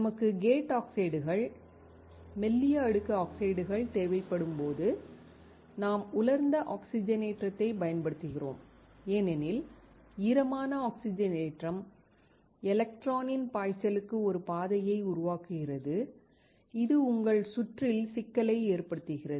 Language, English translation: Tamil, We use dry oxidation when you have gate oxides, thin layer of oxide because wet oxidation creates a path for the electron that can flow, which causes a problem in your circuit